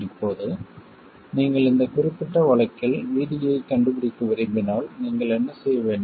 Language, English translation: Tamil, Now if you wanted to find VD in this particular case, what will you have to do